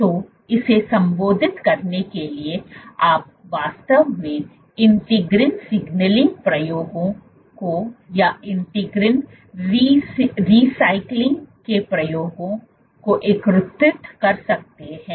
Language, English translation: Hindi, So, to address it you can actually look at you can look at integrin signaling experiments integrin recycling experiments